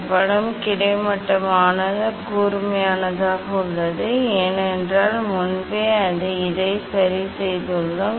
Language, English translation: Tamil, this image is almost sharp, because already earlier we adjust it